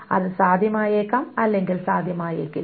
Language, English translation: Malayalam, It may not be possible